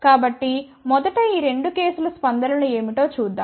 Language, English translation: Telugu, So, let us see what are the responses of these 2 cases first